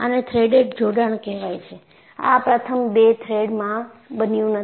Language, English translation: Gujarati, This is a threaded connection; it has not happened in the first two threads